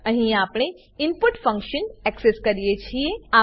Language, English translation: Gujarati, Here we access the input function